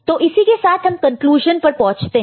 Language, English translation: Hindi, So, with this we come to the conclusion